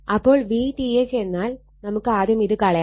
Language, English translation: Malayalam, So, v means first you remove this one